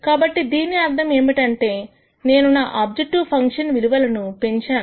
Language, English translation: Telugu, So that means, I have increased my objective function